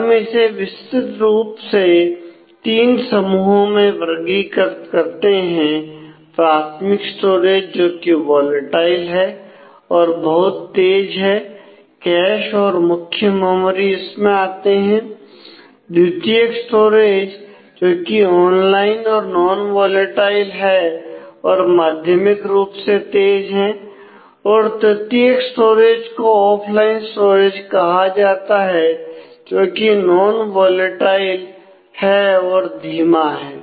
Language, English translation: Hindi, So, we broadly classify them in to three groups primary storage which is volatile and very fast cache and main memory is within that or secondary storage which is an online store which is non volatile and moderately fast and tertiary storage is called the offline store which is non volatile and slow